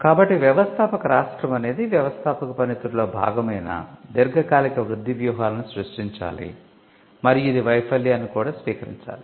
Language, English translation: Telugu, So, the entrepreneurial state must create long term growths strategies which is a part of the entrepreneurial function and it should also embrace failures